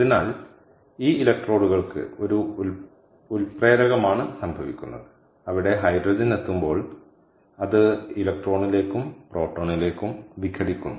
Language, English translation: Malayalam, ok, so what happens is this: this electrodes have a is a catalyst where the hydrogen, when it reaches there, it dissociates into electron and proton